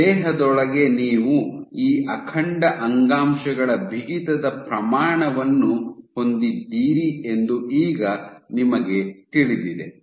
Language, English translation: Kannada, Now you know that within the body you have this intact tissue stiffness scale right